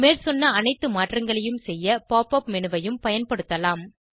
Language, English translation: Tamil, We can also use the Pop up menu to do all the above modifications